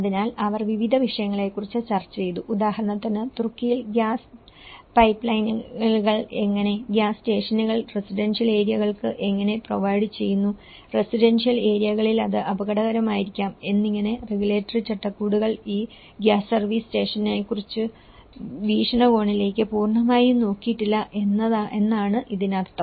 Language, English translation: Malayalam, So, they have discussed about a variety of issues, for example, in Turkey there are some evidences which talk about the gas pipelines, how and gas stations which has been provided in the residential areas near the residential areas which may be hazardous but none of the regulatory frameworks have talked about these gas service stations